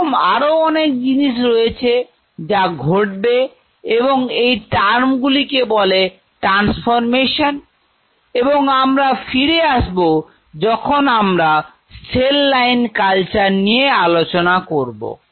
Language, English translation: Bengali, There will be several such things which will happen and then there are terms called transformations and all which will come which will be coming later once we will talk about the cell line cultures